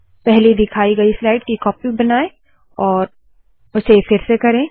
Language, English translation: Hindi, Make a copy of the earlier shown slide and do it again